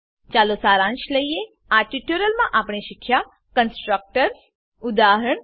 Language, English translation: Gujarati, Let us summarize, In this tutorial we learned, Constructors